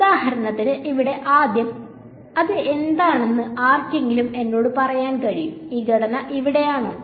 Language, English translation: Malayalam, So, for example, the first thing over here, this is can anyone tell me what is this; this structure over here